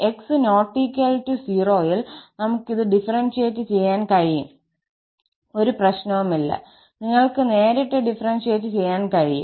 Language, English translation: Malayalam, And when x is not equal to 0, we can differentiate this there is no issue, you can directly differentiate